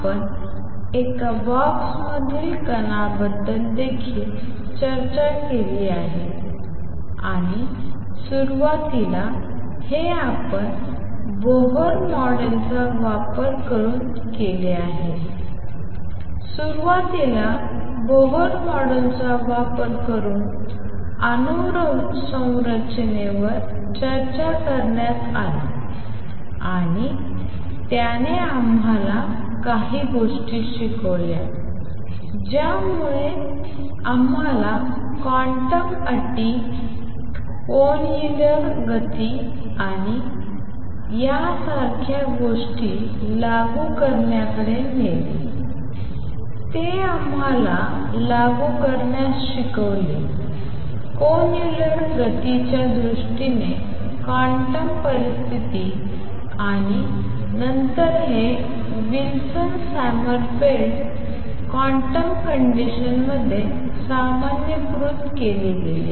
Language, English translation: Marathi, We also discussed particle in a box and initially this was done using Bohr model, initially atomic structure was discussed using Bohr model and it taught us some things it led us towards applying quantum conditions to angular momentum and things like those, it taught us to apply quantum conditions in terms of angular momentum and then this was generalized to Wilson Sommerfeld quantum conditions in terms of action being quantized